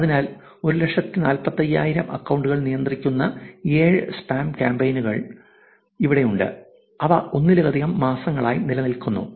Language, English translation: Malayalam, So, 5 spam campaigns controlling 145 thousand accounts combined are able to persist for months at a time